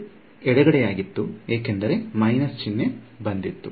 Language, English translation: Kannada, So, that was the left hand side that minus sign came because